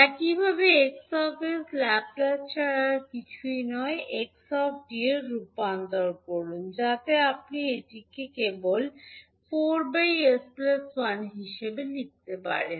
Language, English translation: Bengali, Similarly sX is nothing but Laplace transform of xt so you can simply write it as four upon s plus one